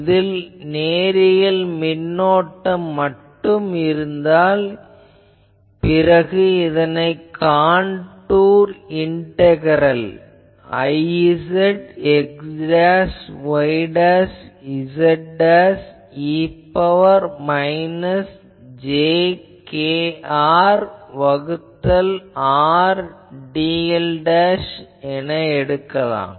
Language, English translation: Tamil, If I have a only a linear current, then it is a contour integral I z x dashed y dashed z dashed e to the power minus j k R by R dl dashed